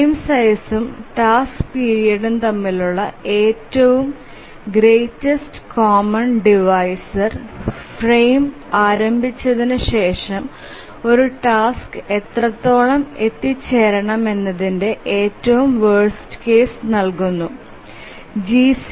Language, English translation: Malayalam, So the greatest common divisor between the frame size and the task period that gives the worst case situation of how much after the frame starts can a task arrive